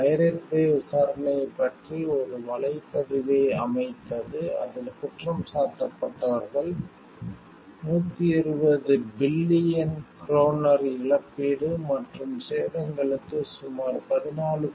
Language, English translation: Tamil, The pirate bay set up a blog about the trial in which the accused made light of the claims, for the compensation and damages amounting to 120 billion kroner about 14